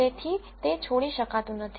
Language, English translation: Gujarati, So, it cannot drop out